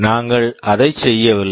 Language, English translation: Tamil, We are not doing that